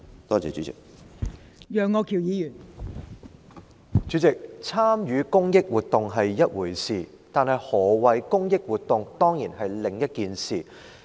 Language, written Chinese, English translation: Cantonese, 代理主席，參與公益活動是一回事，但何謂"公益活動"是另一回事。, Deputy President participation in charitable activities is one thing but what is meant by charitable activity is another thing